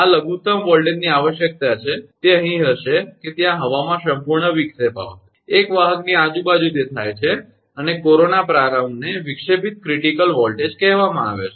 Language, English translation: Gujarati, This is the minimum voltage require that, it will be here that there will be complete disruption of air, surround a conductor right it occurs and corona start is called the disruptive critical voltage